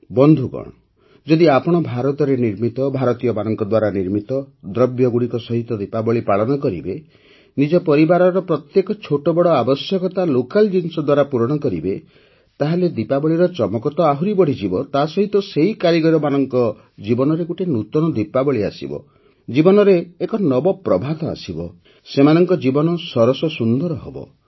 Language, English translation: Odia, Friends, when you brighten up your Diwali with products Made In India, Made by Indians; fulfill every little need of your family locally, the sparkle of Diwali will only increase, but in the lives of those artisans, a new Diwali will shine, a dawn of life will rise, their life will become wonderful